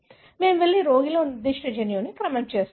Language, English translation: Telugu, We go and sequence that particular gene in the patient